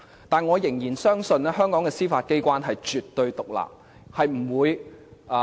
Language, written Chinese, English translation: Cantonese, 但是，我仍然相信香港的司法機關是絕對獨立的。, However I still believe that Hong Kongs Judiciary is absolutely independent